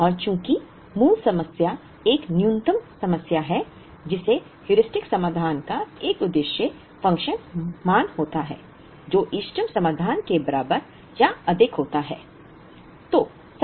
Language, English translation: Hindi, And since, the basic problem is a minimization problem a Heuristic solution would have an objective function value higher or equal to that of the optimal solution